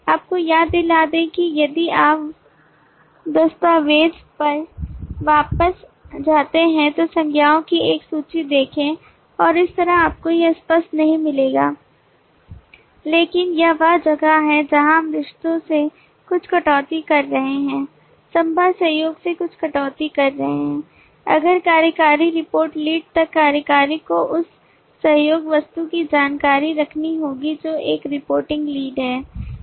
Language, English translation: Hindi, remind you if you go back to the document look at a list of nouns and so on you will not find this explicit, but this is where we are making certain deductions from the relationships, making certain deductions from the possible collaboration that if executive reports to lead then executive will have to keep the information of that collaboration object which is a reporting lead